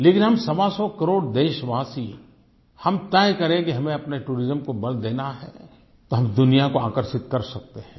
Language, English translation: Hindi, But if we, 125 crore Indians, decide that we have to give importance to our tourism sector, we can attract the world